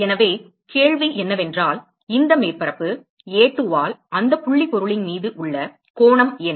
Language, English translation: Tamil, So, the question is what is the angle that is subtended by this surface A2 on to that point object